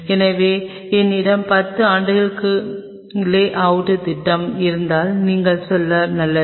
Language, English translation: Tamil, So, if you have a lay out plan for 10 years you are good to go